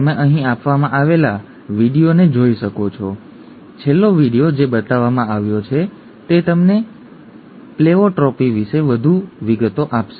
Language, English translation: Gujarati, You can look at the video that is given here, the last video that is shown that will give you some more details about Pleiotropy